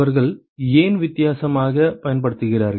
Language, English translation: Tamil, Why are they using different